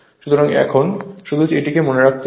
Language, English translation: Bengali, So, just you have to keep it certain thing in mind